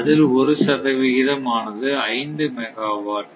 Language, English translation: Tamil, Therefore, 1 percent of 500 actually 5 megawatt